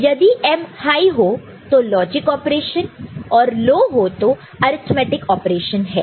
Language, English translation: Hindi, So, if M is equal to high it is logic operation and M is equal to low, it is arithmetic operation